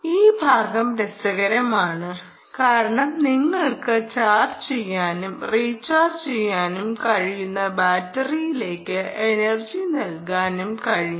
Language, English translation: Malayalam, this particular aspect is interesting because you will be able to charge, put energy into a rechargeable battery